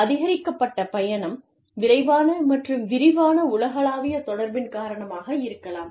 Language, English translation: Tamil, Because of, increased travel, rapid and extensive global communication